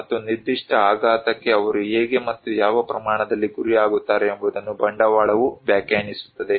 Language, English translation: Kannada, And also capital define that how and what extent they are vulnerable to particular shock